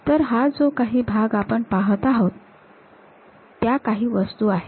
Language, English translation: Marathi, So, this part whatever we are seeing, these are the things